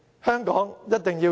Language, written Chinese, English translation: Cantonese, 香港一定要贏！, Hong Kong sure win!